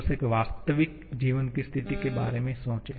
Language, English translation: Hindi, Just think about a real life situation